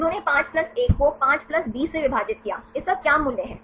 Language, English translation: Hindi, They put 5+1 divide by 5+20, what is the value